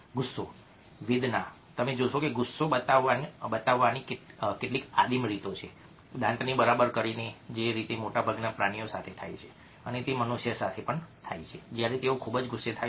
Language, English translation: Gujarati, you find that there are some primeval, primitive ways of showing a anger by, let say, ah, bearing the teeth, which happens with most animals and it also happens with human beings when they are very angry